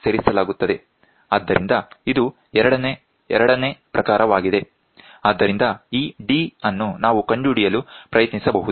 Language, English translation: Kannada, So, this is a second type so, this one we can try to find out d